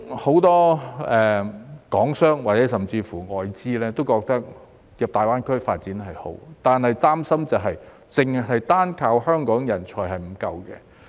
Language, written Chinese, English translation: Cantonese, 很多港商甚或外資也認為進入大灣區發展是好的，但擔心單靠香港人才是不足夠的。, Many Hong Kong businessmen and foreign investors consider it desirable to enter GBA for development but worry that it is not enough to rely on Hong Kong talents alone